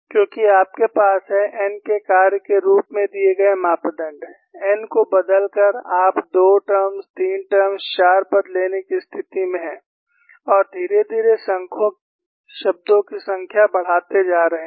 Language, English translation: Hindi, Because you have the parameters given as function of n, by changing the n, you are in a position to take 2 terms, 3 terms, 4 terms and gradually increase the number of terms